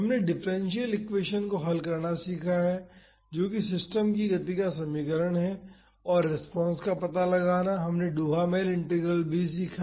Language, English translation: Hindi, We have learnt to solve the differential equation that is the equation of motion of the system and find the response, we also learnt Duhamel Integral